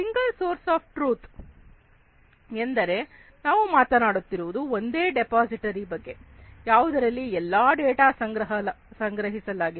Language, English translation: Kannada, Single source of truth means we are talking about a single repository, where all the data are going to be stored